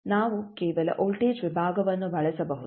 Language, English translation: Kannada, We can use by simply voltage division